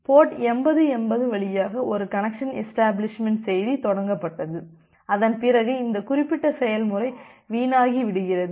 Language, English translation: Tamil, It was initiated a connection establishment message say port through port 8080 and after that this particular process get trashed